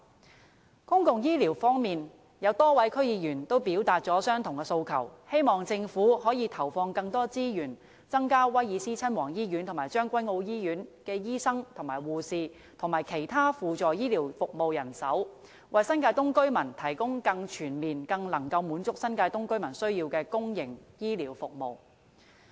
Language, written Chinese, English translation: Cantonese, 就公共醫療方面，有多位區議員均表達了相同的訴求，希望政府可以投放更多資源，增加威爾斯親王醫院和將軍澳醫院的醫生、護士和輔助醫療服務人手，為新界東居民提供更全面、更能滿足他們需要的公營醫療服務。, On public health care a number of District Council members unanimously appealed to the Government for earmarking further resources to the Prince of Wales Hospital and the Tsueng Kwan O Hospital for hiring more doctors nurses and auxiliary health care personnel and for providing more comprehensive public health care services that better address the needs of the New Territories East residents